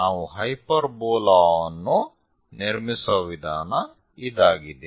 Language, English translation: Kannada, This is the way we construct a hyperbola